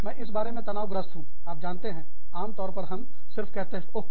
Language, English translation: Hindi, I am stressed out, about, you know, we are usually, we just say, oh